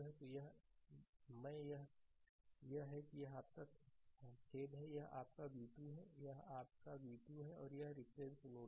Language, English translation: Hindi, So, i this is your ah this is your ah sorry ah this is your v 2 ah this is your v 2 and this is reference node